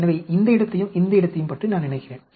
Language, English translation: Tamil, So, I think of this place and this place